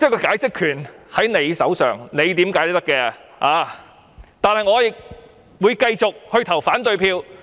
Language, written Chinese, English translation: Cantonese, 解釋權在他們手上，怎樣解釋也可以，但我會繼續投反對票。, Since the power of interpreting the Basic Law rests with them they can interpret it in any way they like; but I will nonetheless vote against the Budget